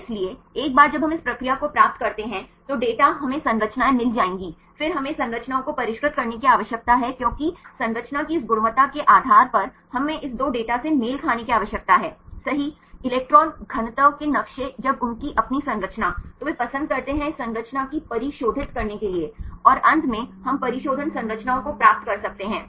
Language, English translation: Hindi, So, then once we get this process the data we will get the structures then we need to refined the structures because depending upon this quality of the structure right we need to match this two data right electron density map when their own structure, then they like to refine this structure and finally, we can get the refine structures